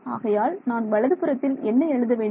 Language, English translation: Tamil, So, what should I write on the right hand side